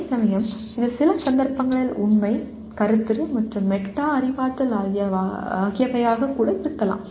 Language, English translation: Tamil, Whereas it can be Factual, Conceptual, and Metacognitive in some cases